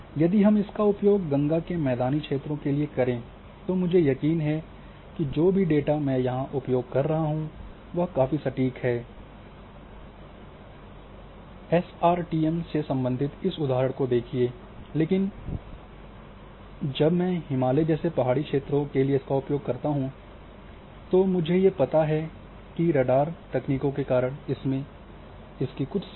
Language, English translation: Hindi, So, if I am going to use for Indo Gangetic plain I may be sure that yes whatever the data I am using is quite accurate see example related to SRTM, but when I go for hilly terrain like Himalaya then I know that because of radar techniques this is having some limitations some problems and why do so, which might be there